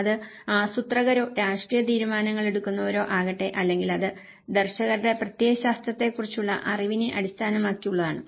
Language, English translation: Malayalam, Whether it is a planners or the political decision makers or it is based on the knowledge on ideologies of the visionaries